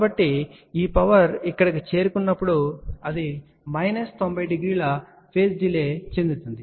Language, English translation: Telugu, So, this power when it reaches here it experiences a phase delay of minus 90 degree